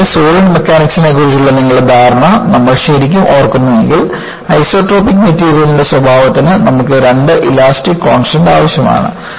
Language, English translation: Malayalam, And, if you really recall your understanding of solid mechanics, you need two elastic constants to characterize the isotropic material